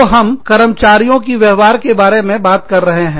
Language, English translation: Hindi, So, we are talking about, the behavior of the employees